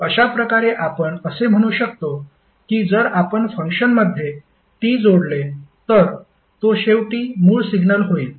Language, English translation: Marathi, So, in this way we can say if we add capital T in the function, it will eventually become the original signal